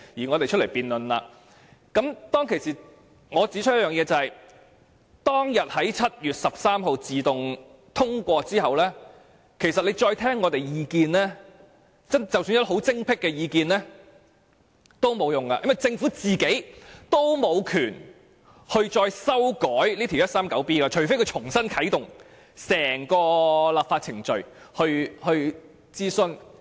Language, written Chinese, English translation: Cantonese, 我當時曾經指出，修訂規例在7月13日自動通過後，即使政府再聆聽我們的意見，即使我們的意見多麼精闢也沒有用，因為政府沒權再次修改第 139B 章，除非重新啟動整個立法程序並進行諮詢。, As I pointed out at that time after the automatic passage of the Amendment Regulation on 13 July even if the Government would listen to our views again it would not help despite the fact that our ideas were really brilliant . This is because the Government would not have the right to amend Cap . 139B again unless the entire legislative process started afresh with another consultation conducted